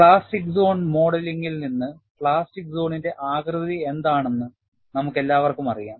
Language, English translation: Malayalam, And we all know, from the plastic zone modeling, what is the shape of the plastic zone